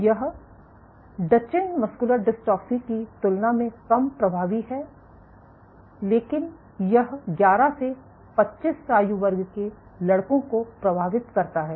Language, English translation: Hindi, It is much milder than Duchenne muscular dystrophy it also affects boys, but in the age group 11 to 25